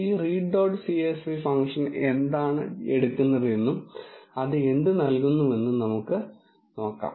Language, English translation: Malayalam, Let us look what this read dot csv function takes and what it returns